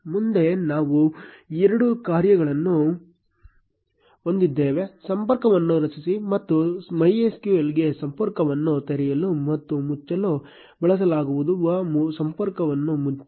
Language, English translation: Kannada, Next, we have two functions, create connection and close connection which are used to open and close connection to MySQL